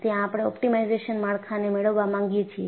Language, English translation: Gujarati, So, we want to have optimized structures